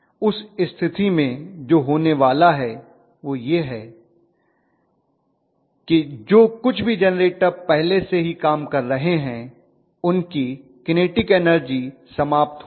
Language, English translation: Hindi, In that case what is going to happen is whatever are the generators that are working already their kinetic energy will be kind of depleted